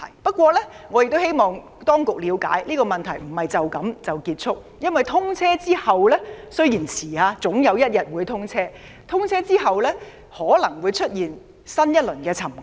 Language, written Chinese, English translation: Cantonese, 不過，我希望當局了解，這些問題不會就此結束，因為通車後——雖然延遲了，但總有一天會通車——可能會出現新一輪沉降。, However I hope the authorities can understand that such problems will not simply come to an end as such because after commissioning―though it has been delayed but SCL will be commissioned one day―a new round of settlement may occur